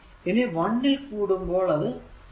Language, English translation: Malayalam, So, 1 to 2 it will be 3 t square into dt